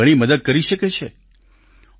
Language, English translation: Gujarati, It can be a great help to you